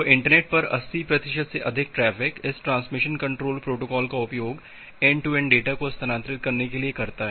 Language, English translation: Hindi, So, more than 80 percent of the traffic over the internet it uses this transmission control protocol to transfer end to end data